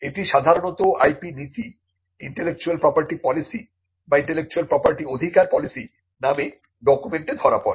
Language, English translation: Bengali, Now, this is usually captured in a document called the IP policy, the intellectual property policy or the intellectual property rights policy